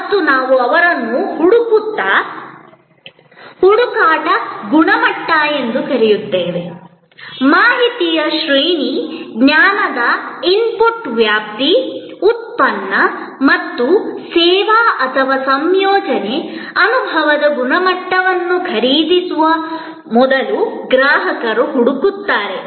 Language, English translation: Kannada, And we have called them search quality; that is what the range of information, the range of knowledge input, the customer will look for before the purchase of a product or service or combination, experience quality